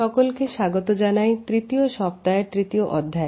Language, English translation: Bengali, Welcome dear participants to the 3rd module of the 3rd week